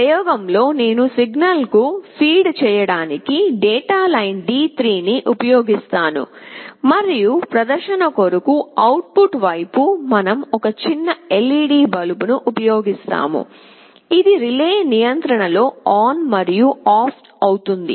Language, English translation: Telugu, In this experiment, I will be using the data line D3 for feeding the signal and on the output side for the sake of demonstration, we will be using a small LED bulb, which will be turning ON and OFF under relay control